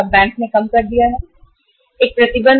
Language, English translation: Hindi, There is a restriction of 2000 Rs